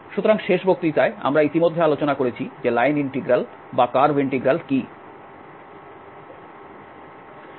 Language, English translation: Bengali, So, in the last lecture we have already discussed what are the line integrals or the curve integrals